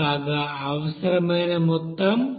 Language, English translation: Telugu, Whereas, required amount is 19